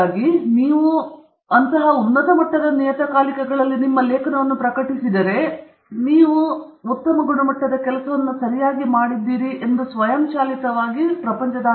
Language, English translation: Kannada, And so if you publish in those journals, it is automatically assumed that you have done a very high quality work okay